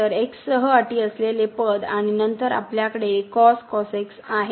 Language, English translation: Marathi, So, terms with terms with x and then we have here